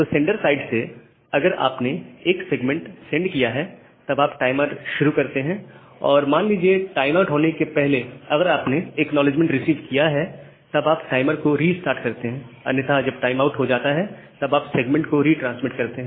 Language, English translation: Hindi, So, once you have transmitted a segment from the sender side you start the timer, say within this timeout if you receive the acknowledgement, then you restart the timer otherwise once timeout occurs, then you retransmit this segment